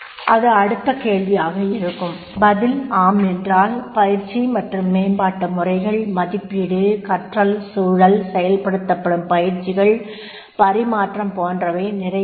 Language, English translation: Tamil, And if the answer is yes, then training and development methods, the evaluation, learning environment, transfer of training that will be implemented